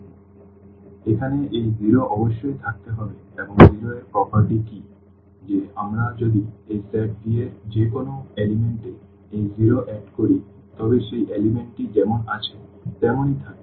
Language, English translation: Bengali, So, here this 0 must be there and what is the property of 0, that if we add this 0 to any element of this set V then that element will remain as it is